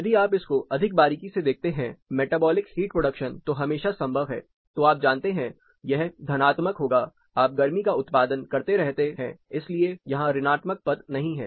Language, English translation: Hindi, If you look more closely into this metabolic heat production is always possible you know positive you keep producing heat that is no negative term here